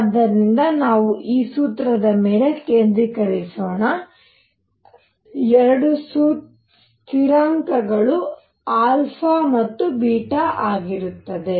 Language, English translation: Kannada, So, let us just focus on this formula, two constants alpha and beta